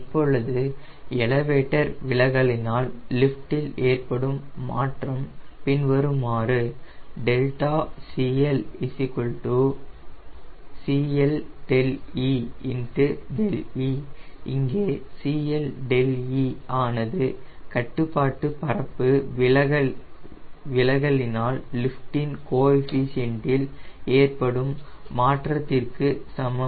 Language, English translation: Tamil, now the change in lift due to elevator deflection is given as cl delta l equals to c l delta e into delta e, where cl delta e equals to change in lift coefficient by control surface deflection